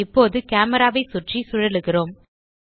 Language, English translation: Tamil, Now we are rotating around camera